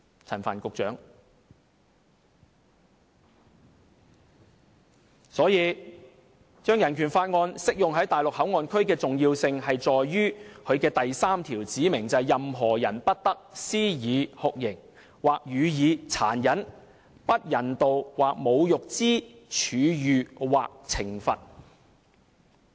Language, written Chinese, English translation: Cantonese, 因此，將香港人權法案適用於內地口岸區的重要性，在於它的第三條指明："任何人不得施以酷刑，或予以殘忍、不人道或侮辱之處遇或懲罰。, Therefore the importance of making the Hong Kong Bill of Rights applicable to MPA lies in the fact that Article 3 therein specifies that No one shall be subjected to torture or to cruel inhuman or degrading treatment or punishment